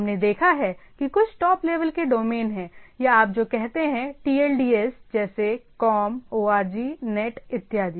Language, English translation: Hindi, So, we have seen there are some of the Top Level Domains or what you say TLDs like com, org, net and so and so forth